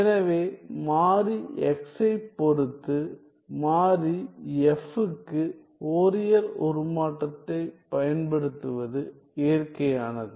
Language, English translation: Tamil, So, it is natural quite natural to use the Fourier transform for the variable f with respect to the variable x